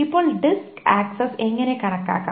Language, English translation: Malayalam, Now how can the disk access be estimated